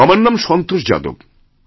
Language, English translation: Bengali, My name is Santosh Jadhav